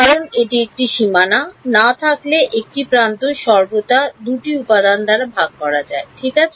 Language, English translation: Bengali, Because an edge except if it is on the boundary will always be shared by 2 elements ok